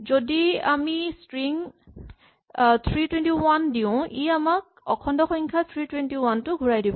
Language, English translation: Assamese, If we give it the string 321 then it should give us back the integer 321